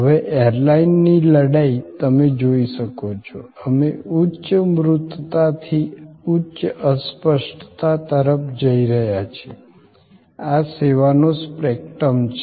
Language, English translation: Gujarati, Now, an airline fight as you can see, we are going from high tangibility to high intangibility, this is the spectrum of services